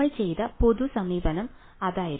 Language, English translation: Malayalam, That was the general approach that we did ok